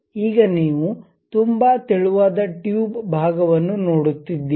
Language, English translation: Kannada, Now, if you are seeing very thin tube portion you will get